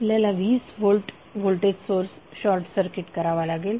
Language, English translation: Marathi, We have to short circuit the 20 volt voltage source